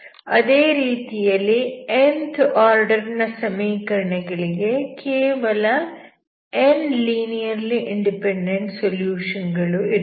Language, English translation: Kannada, So nth order equation will have only n linearly independent solutions